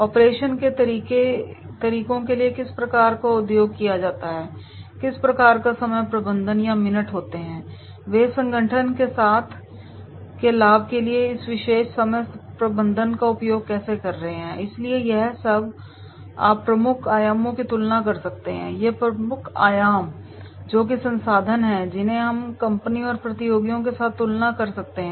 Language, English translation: Hindi, What type of method is been used for operation methods and then what type of the time management or minutes are there, how they are making the use of this particular time management for the benefiting to the organization, so all this you can compare the key dimensions, these are the key dimensions that is the resources which we can compare with company and the competitors